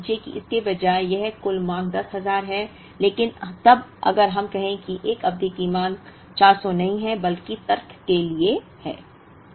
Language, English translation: Hindi, Now, suppose instead of the, this is the total demand let it be 10,000, but then if we say that the 1st periods demand is not 400, but for the sake of argument